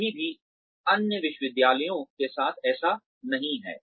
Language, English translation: Hindi, It is still not the case with other universities